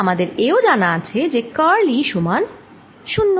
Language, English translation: Bengali, we also have curl of e is equal to zero